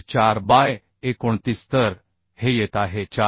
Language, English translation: Marathi, 4 by 29 so this is coming 4